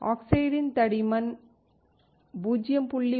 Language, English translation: Tamil, Dry oxide is about 0